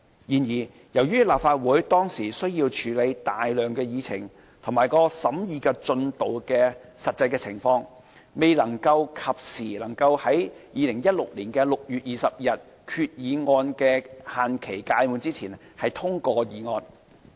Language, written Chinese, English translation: Cantonese, 然而，由於立法會當時需要處理大量議程及其審議進度的實際情況，未能及時在2016年6月20日，即決議案的限期屆滿前通過議案。, Nevertheless owing to the vast number of agenda items which the Legislative Council had to deal with and the actual progress in the transaction of Legislative Council business the Legislative Council was unable to pass the motion in the time before the effective period of the resolution expired by 20 June 2016